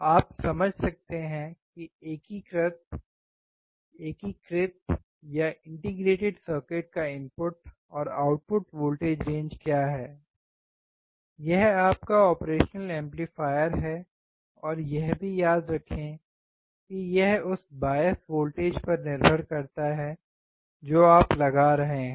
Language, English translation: Hindi, You can understand what is the input and output voltage range of the integrated circuit, that is your operational amplifier and also remember that it depends on the bias voltage that you are applying